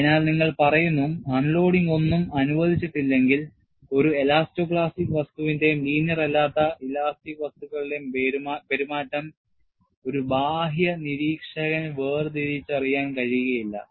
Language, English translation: Malayalam, So, you say, provided no unloading is permitted to occur, the behavior of an elasto plastic material and a non linear elastic material is indistinguishable to an outside observer